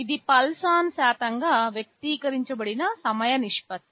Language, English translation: Telugu, It is the proportion of time the pulse is ON expressed as a percentage